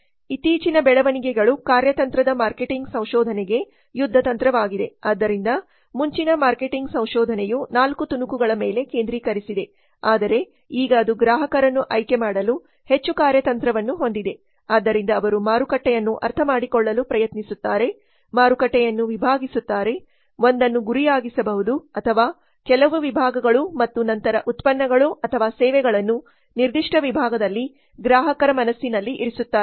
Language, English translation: Kannada, so earlier the marketing research was focusing on the four piece but now it is more of strategic like for choosing the customer so they will try to understand the market segment the market target one or few segments and then position the products or services in the minds of the customers in the particular segment